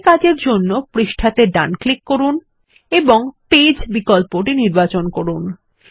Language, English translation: Bengali, To do this, right click on the page and choose the Page option